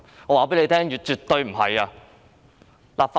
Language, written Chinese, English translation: Cantonese, 我告訴你：絕對不是。, Let me tell you the answer Definitely not